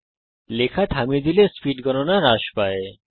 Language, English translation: Bengali, If you stop typing, the speed count decreases